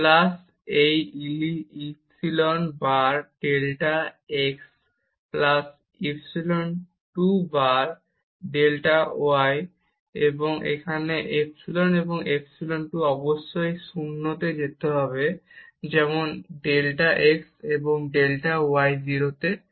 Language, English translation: Bengali, Plus, this epsilon times delta x plus epsilon 2 times delta y, and here epsilon and epsilon 2 must go to 0 as delta x and delta y go to 0